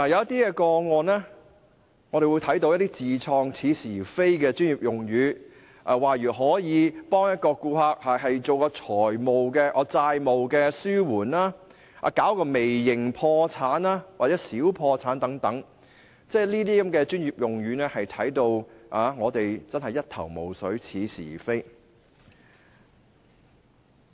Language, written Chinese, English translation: Cantonese, 在一些個案中，我們看到有些似是而非的自創專業用語，例如可以為顧客提供"債務紓緩"、"微型破產"或"小破產"等服務，這些似是而非的專業用語真的令到我們一頭霧水。, In some cases we have seen the invention of some specious jargons by these people . For instance they may claim that they provide services targeting debt relief micro bankruptcy mini bankruptcy and so on . We are really puzzled by these specious jargons